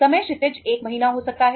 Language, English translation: Hindi, Time horizon can be 1 month